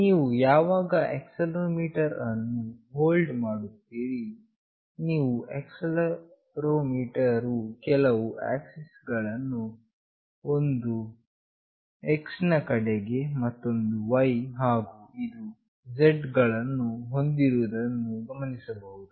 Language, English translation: Kannada, When you hold the accelerometer, you will find out that that accelerometer is having certain axes, one is along X, another is Y and this one is Z